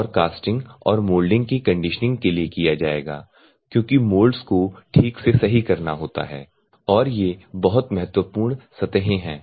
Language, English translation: Hindi, And conditioning of the casting and mouldings because the moulds are to be treated at fine, and these surfaces are very critical surfaces